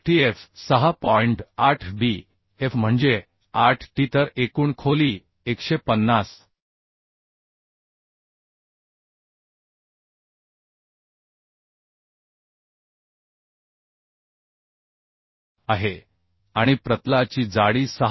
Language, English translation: Marathi, 8 bf is 80 then overall depth is 150 and thickness of flange is 6